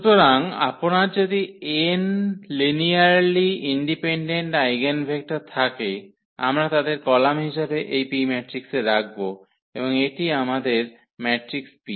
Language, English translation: Bengali, So, if you have n linearly independent eigenvectors, we will just place them in this matrix P as the columns, and this is our matrix this P